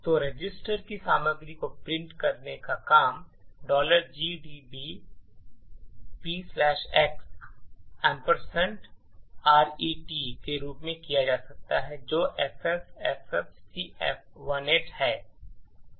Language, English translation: Hindi, So, printing the content of register can be done as follows P slash x ampersand RET which is FFFFCF18